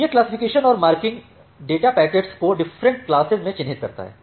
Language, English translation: Hindi, So, this classification and marking it marked the data packets into different traffic classes